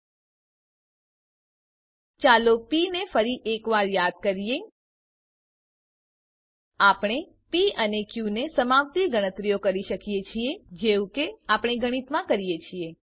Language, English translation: Gujarati, Let us also recall P once more: We can carry out calculations involving P and Q, just as we do in mathematics